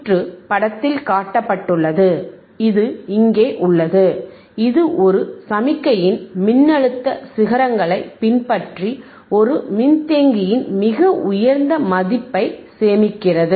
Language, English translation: Tamil, So, let us see, the circuit shown in figure follows the voltage peaks of a signal and stores the highest value on a capacitor